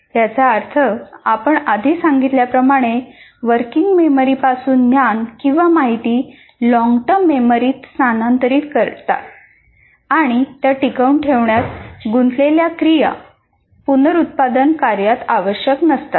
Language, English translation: Marathi, That means as what we explained earlier, the activities that are involved in transferring the knowledge or information from the working memory to the long term memory and retain it, those tasks are not required necessarily in reproduction tasks